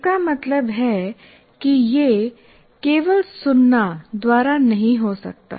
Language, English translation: Hindi, That means it cannot occur by merely listening